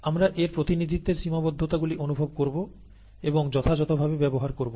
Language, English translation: Bengali, Therefore we will realize the limitations of its representation, and use it appropriately